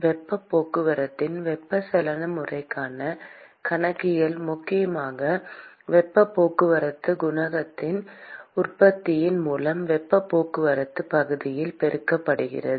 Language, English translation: Tamil, accounting for convective mode of heat transport is essentially given by the product of heat transport coefficient multiplied by the area of heat transport